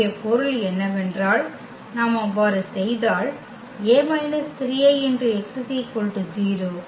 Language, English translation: Tamil, Meaning so, if we do so, so here A minus 3 I